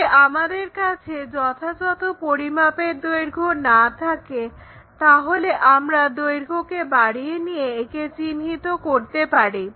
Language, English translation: Bengali, So, if we are not having that enough length, so what we can do is increase this length to locate it